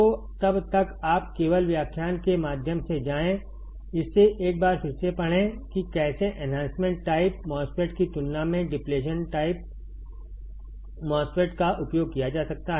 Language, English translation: Hindi, So, till then, you just go through the lecture, read it once again how the depletion MOSFET can be used compared to enhancement type MOSFET